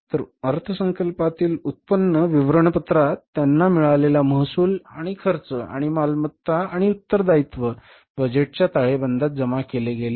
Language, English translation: Marathi, So revenue and expenses they were accounted for in the budgeted income statement and assets and liabilities were accounted for in the budgeted balance sheet